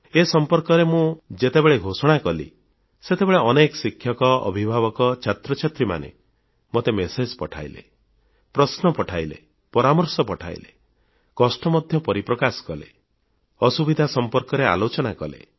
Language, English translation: Odia, When I'd declared that I would talk on this topic, many teachers, guardians and students sent me their messages, questions, suggestions and also expressed their anguish and narrated their problems